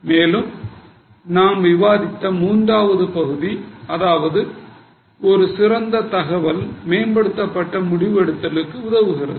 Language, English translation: Tamil, And the third part which we already discussed that a better information helps in much improved decision making